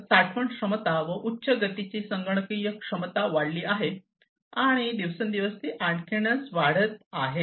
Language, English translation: Marathi, So, storage capacities have increased computational high speed computational capacities have increased and they are increasing even more day by day